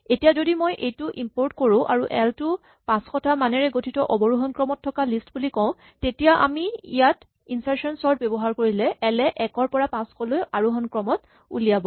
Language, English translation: Assamese, So, if I now import this, then as before if we say l is a range of 500 values say, in descending order, then if we apply insertion sort to this, then l produces the ascending order 1 to 500